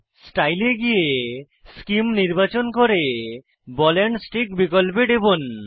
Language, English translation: Bengali, Scroll down to Style, select Scheme and click on Ball and Stick option